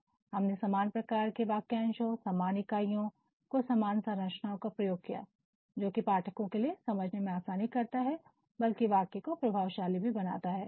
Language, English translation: Hindi, So, what we have done, we have chosen this same sort of phrasing, the same sort of units, the same sort of structure and that not only eases the readers understanding but also makes the sentence very effective